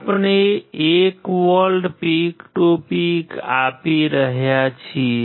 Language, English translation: Gujarati, We are applying 1 volts, peak to peak